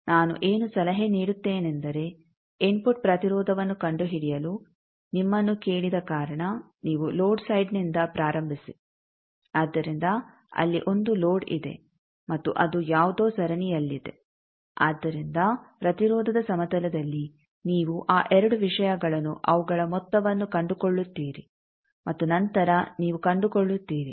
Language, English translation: Kannada, What I advice that since your ask to find input impedance you start form the load side, so there is a load and that is in series with something so in the impedance plane you find out those two things their sums and then you find out